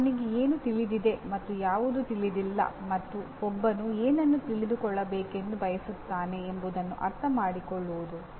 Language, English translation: Kannada, Understanding what one knows and what one does not know and what one wants to know